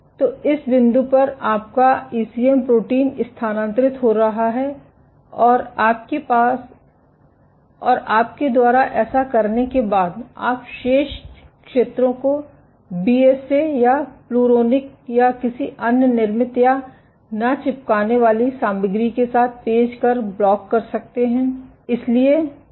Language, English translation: Hindi, So, at this point your ECM protein is getting transferred and after you have done this, you can block the remaining zones with BSA or Pluronic or any other made or peg any non adherent material